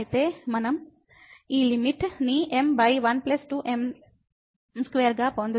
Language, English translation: Telugu, So, we will get this limit as m over 1 plus 2 m square